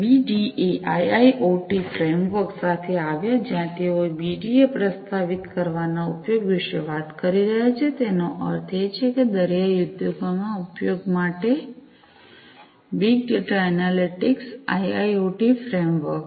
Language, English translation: Gujarati, came up with the BDA IIoT framework, where they are talking about the use of they are proposing a BDA; that means, the Big Data Analytics IIoT framework, for use in maritime industries